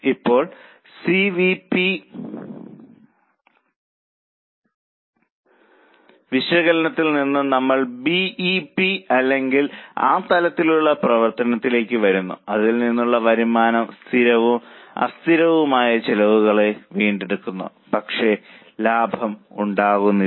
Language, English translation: Malayalam, Now from CVP analysis we come to BP or that level of activity at which revenues recover all variable and fixed costs but there is no profit